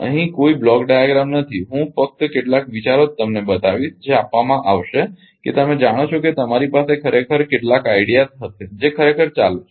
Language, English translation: Gujarati, Here no block diagram I will show only some ideas will be given to you such that you know you will you will have some ideas what actually going on right